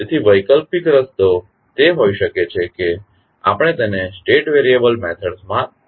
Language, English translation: Gujarati, So, the alternate way can be that, we represent the same into state variable methods